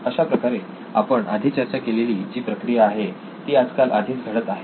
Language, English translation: Marathi, So this is already a process which is happening today